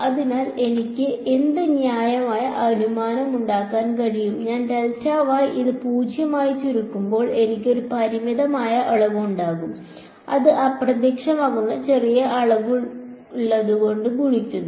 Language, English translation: Malayalam, So, what can I reasonable assumption to make is that as I shrink this delta y to 0, I have a finite quantity multiplied by a vanishingly small quantity right